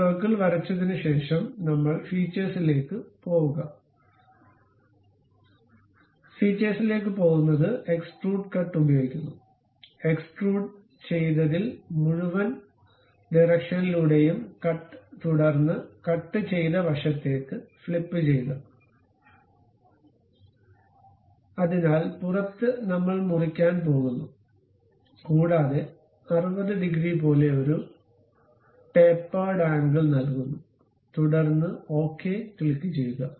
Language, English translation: Malayalam, After drawing that circle we go to features use extrude cut, in that extrude cut the direction we pick through all, then flip side to cut, so outside we are going to cut and we give a tapered angle like 60 degrees outwards, then click ok